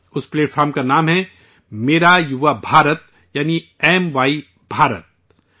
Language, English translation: Urdu, The name of this organization is Mera Yuva Bharat, i